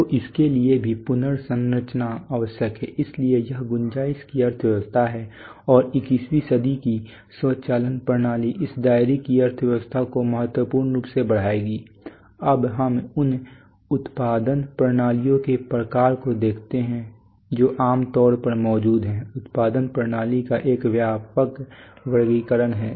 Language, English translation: Hindi, So for this also reconfiguration is necessary, so this is what is the economy of scope and 21st century automation systems will enhance this economy of scope significantly now let us look at the kinds of the production systems that typically exist there is a broad categorization of production systems